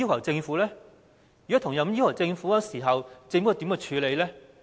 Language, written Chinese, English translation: Cantonese, 如果提出同樣要求，政府如何處理呢？, How is the Government going to deal with their demands if this is the case?